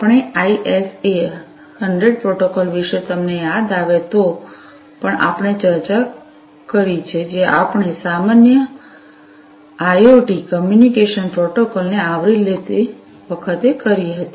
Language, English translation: Gujarati, We have also discussed if you recall about the ISA 100 protocol, that we did at the time of covering the generic IoT communication protocols